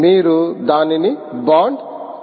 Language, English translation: Telugu, will you bond it